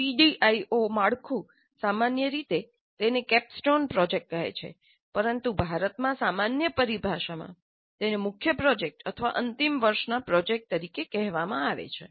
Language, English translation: Gujarati, The CDIO framework generally calls this as a capstone project, but in India the more common terminology is to simply call it as the main project or final year project